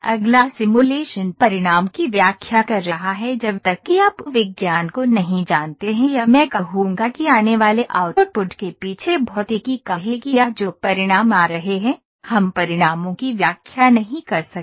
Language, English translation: Hindi, Next is interpreting the simulation result unless you know the science or I would pay say physics behind the outputs that are coming or the results that are coming we cannot interpret the results